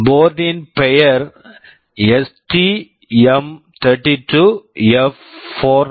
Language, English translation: Tamil, The name of the board is STM32F401